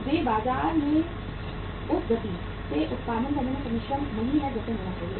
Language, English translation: Hindi, They are not able to pass on the production to the market at the pace as it should have been